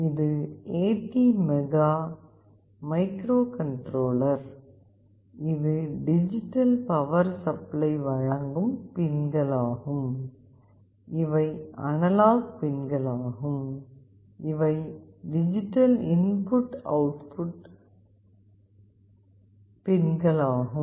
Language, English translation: Tamil, This is the ATmega microcontroller, this is the digital power supply pins, these are the analog pins and these are the digital input output pins